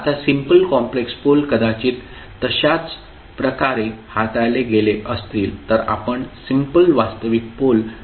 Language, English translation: Marathi, Now, simple complex poles maybe handled the same way, we handle the simple real poles